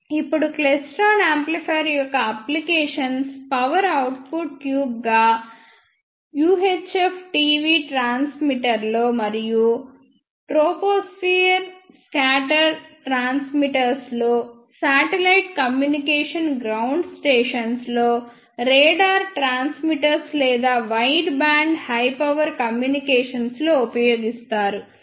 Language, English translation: Telugu, Now, the applications of klystron amplifiers as the power output tubes are in UHF TV transmitters, and troposphere scatter transmitters in satellite communication ground stations, in radar transmitter or we can say wideband high power communication systems